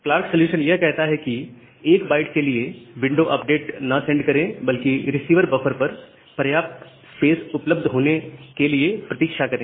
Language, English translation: Hindi, So, the Clark solution says that do not send window update for 1 byte, you wait for sufficient space is available at the receiver buffer